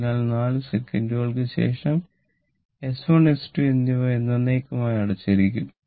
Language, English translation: Malayalam, So, S 2 is closed this means S 1 and S 2 are closed forever right